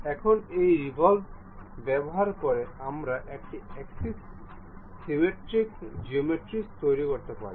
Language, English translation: Bengali, Now, using this revolve, we can construct axis symmetric geometries